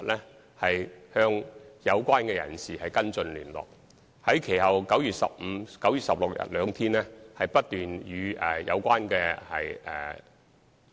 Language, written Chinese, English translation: Cantonese, 其後，我們的同事在9月15日及16日兩天均不斷與中科公司有關人士聯絡。, For two days afterwards on 15 and 16 September our colleagues kept contacting that person in China Technology